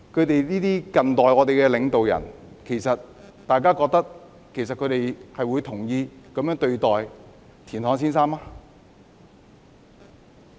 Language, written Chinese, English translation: Cantonese, 對於這些近代領導人，其實大家認為他們會同意這樣對待田漢先生嗎？, Regarding these leaders in modern times do Members think that they would agree to treat Mr TIAN Han in such a way?